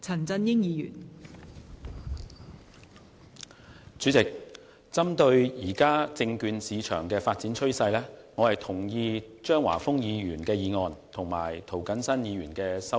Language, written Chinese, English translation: Cantonese, 代理主席，針對現時證券市場的發展趨勢，我同意張華峰議員的議案和涂謹申議員的修正案。, Deputy President in view of the current development trend of the securities market I agree to Mr Christopher CHEUNGs motion and Mr James TOs amendment